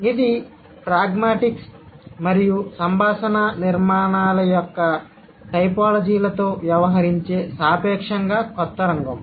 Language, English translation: Telugu, So it's a relatively young field that deals with typologies of pragmatics and conversational structures